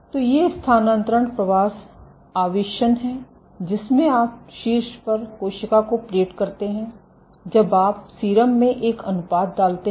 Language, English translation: Hindi, So, these are transfer migration inserts in which you plate cells on the top, put a gradient you put a gradient in serum